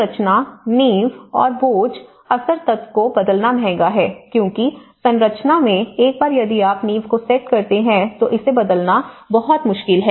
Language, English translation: Hindi, The structure, the foundations and load bearing element are expensive to change because in the structure, once if you setup the foundation, it is very difficult to change